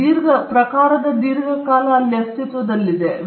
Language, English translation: Kannada, Now, this genre has been in existence for a long time